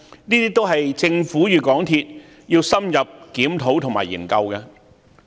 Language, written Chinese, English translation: Cantonese, 這些都是政府與港鐵公司需要深入檢討和研究的問題。, These are the issues that the Government and MTRCL should review and examine thoroughly